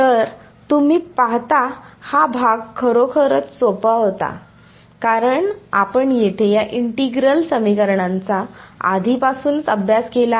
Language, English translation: Marathi, So, you see this part was really easy because you have already studied these integral equations over here